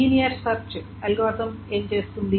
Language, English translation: Telugu, What does a linear search algorithm does